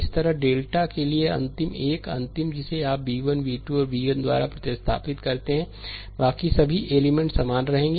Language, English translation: Hindi, Similarly, for the delta n the last one, the last one you replace by b 1, b 2 and b n, rest of the all a element will remain same